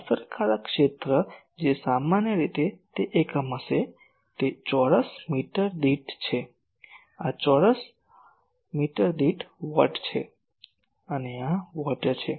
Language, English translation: Gujarati, So, effective area its generally it will be unit is metre square, this is watts per metre square and this is watts